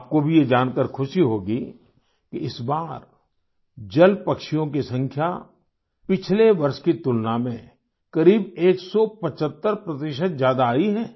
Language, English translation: Hindi, You will also be delighted to know that this time the number of water birds has increased by about one hundred seventy five 175% percent compared to last year